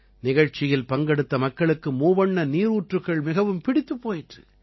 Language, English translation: Tamil, The people participating in the program liked the tricolor water fountain very much